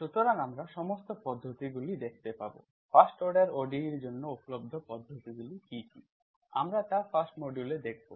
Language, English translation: Bengali, So we will see all the methods, what are the available methods that are available for the first order ODE, we will see in the 1st module